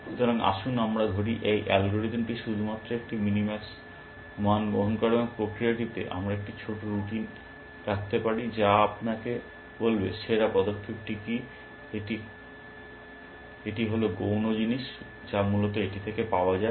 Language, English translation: Bengali, So, let us say, this algorithm only computes a minimax value, and on the process, we can put in a small routine, which will tell you what is the best move, that is the secondary thing, which comes out of it essentially